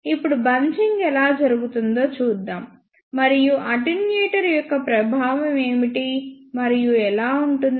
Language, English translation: Telugu, Now, let us see how bunching takes place, and how and what are the effect of attenuator